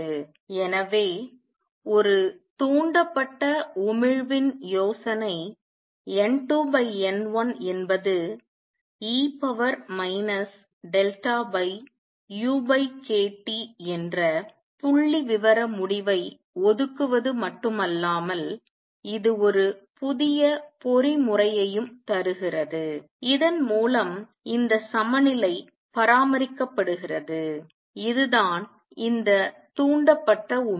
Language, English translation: Tamil, So, not only the idea of a stimulated emission reserves the statistical result that N 2 over N 1 is E raise to minus delta over u over k T it also gives you a new mechanism through which this equilibrium is maintained and that is these stimulated emission